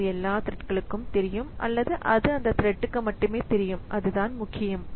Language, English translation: Tamil, So, is it visible to all the threads or it is visible to only that that thread